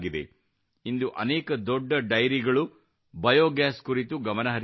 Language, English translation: Kannada, Today many big dairies are focusing on biogas